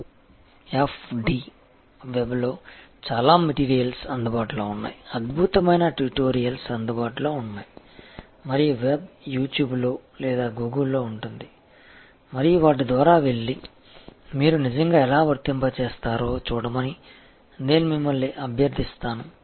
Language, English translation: Telugu, And QFD, the lots of material are available on the web, excellent tutorials are available and the web, either at You Tube or through Google and I will request you to go through them and see, how you will actually apply